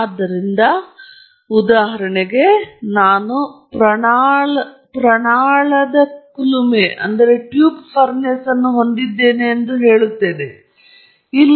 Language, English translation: Kannada, So, for example, let me just say that I have a box furnace, I am sorry, a tube furnace